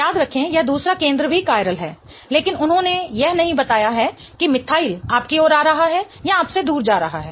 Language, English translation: Hindi, Remember, this other center is also chiral, but they have not given whether the methyl is coming towards you or going away from you